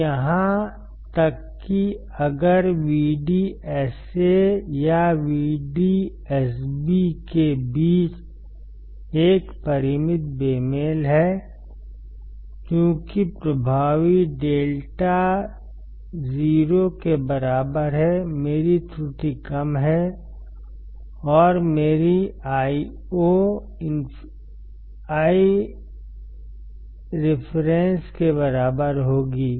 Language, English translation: Hindi, So, even there is a finite mismatch between VDS1 or VDS N VDS b, since lambda effective equals to 0, my error is less, and my Io will be equals to I reference